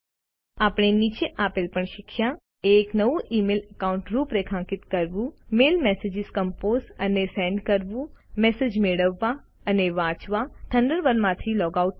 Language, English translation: Gujarati, We also learnt how to: Configure a new email account, Compose and send mail messages, Receive and read messages, Log out of Thunderbird